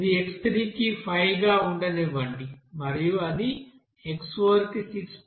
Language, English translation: Telugu, Let it be 5 for x3 and then it will be 6